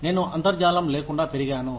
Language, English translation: Telugu, I grew up, without the internet